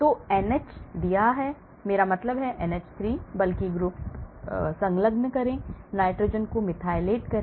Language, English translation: Hindi, So, if you how OH put OCH3, if you have NH put O, I mean NCH3, attach bulky groups, methylate the nitrogen